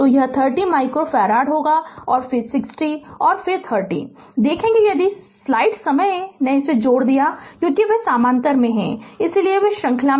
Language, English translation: Hindi, So, this will be 30 micro farads and again we will see 60 and 30 if you have make it add it up because they are in parallel